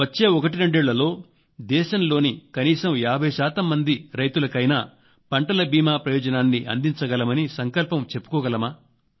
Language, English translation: Telugu, Can we pledge to reach out to at least 50 percent of the country's farmers with the crop insurance over the next 12 years